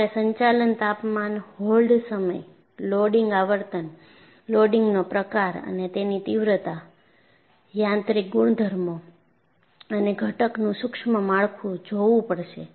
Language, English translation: Gujarati, So, you have to look at the operating temperature, hold time, loading frequency, type and magnitude of loading, mechanical properties and microstructure of the component